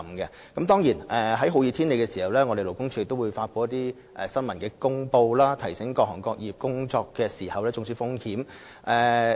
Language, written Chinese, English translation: Cantonese, 在天氣酷熱的情況下，勞工處會發出新聞公報，提醒各行各業人員注意工作時的中暑風險。, In times of hot weather LD will issue press releases to remind workers in different trades of the risk of heat stroke at work